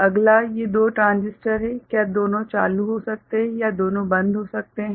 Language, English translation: Hindi, Next is these two transistors, can both of them be ON or both of them be OFF